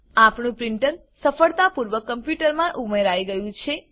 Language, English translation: Gujarati, Our printer is successfully added to our computer